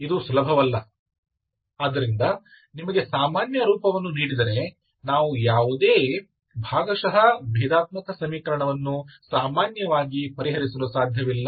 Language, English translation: Kannada, Okay, it is not easy, so we cannot solve in general, any partial differential equation if you are given a general form